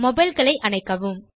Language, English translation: Tamil, Turn off mobiles